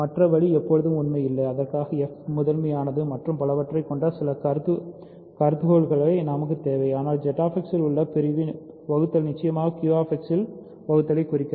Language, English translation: Tamil, The other way is not always true and for that we need some hypothesis that f is prime primitive and so on, but division in ZX certainly implies division in Q X